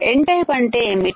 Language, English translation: Telugu, N type is what